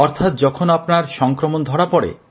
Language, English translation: Bengali, You mean when you came to know of the infection